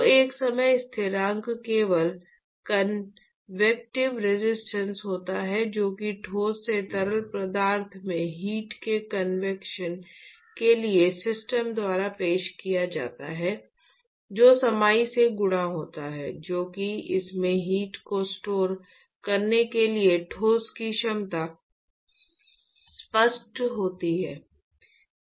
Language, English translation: Hindi, So, a time constant is simply the convective resistance that is offered by the system for convection of heat from the solid to the fluid multiplied by the capacitance that is the ability of the solid to store heat in it is volume is that clear